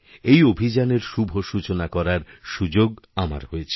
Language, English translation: Bengali, I had the opportunity to inaugurate it